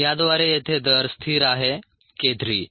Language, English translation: Marathi, the rate constant here is k three